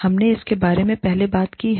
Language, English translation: Hindi, We have talked about it, earlier